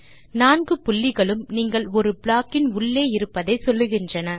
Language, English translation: Tamil, The four dots tell you that you are inside a block